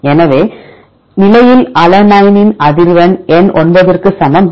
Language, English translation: Tamil, So, frequency of alanine at position number 9 equal to 0